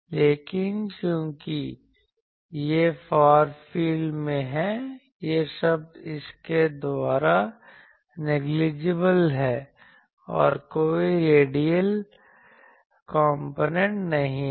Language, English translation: Hindi, But since, it is in the far field, these terms are negligible by that and there are no radial components